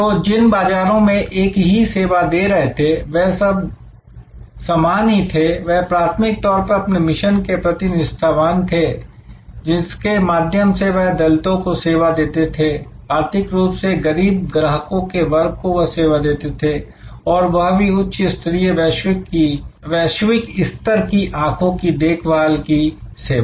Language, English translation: Hindi, So, number of markets served remains for them same, they are primarily very true to their mission of serving the downtrodden, serving the economically week customer segments with high quality global standard eye care service